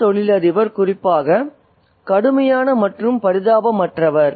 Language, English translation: Tamil, And this businessman is especially harsh and unsympathetic